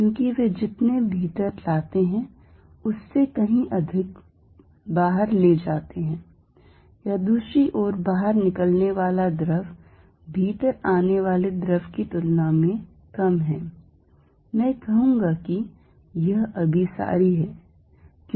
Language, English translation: Hindi, Because, they take away much more than they are bringing in or the other hand, if fluid going out is less then fluid coming in I will say this convergent